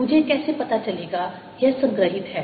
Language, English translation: Hindi, how do i know it is stored